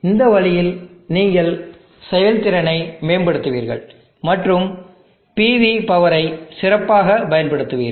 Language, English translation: Tamil, In this way you will be improving the efficiency and get the better utilization of the PV power